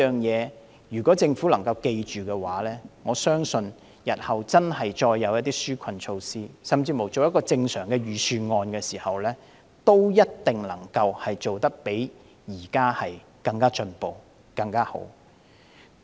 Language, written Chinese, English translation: Cantonese, 如果政府能夠謹記這3點，我相信日後再推出紓困措施，甚至要編製恆常的預算案時，一定能夠做得較現時更進步及更好。, If the Government can keep these three points in mind I believe it will certainly do a better job in implementing relief measures or even drawing up regular Budgets in the future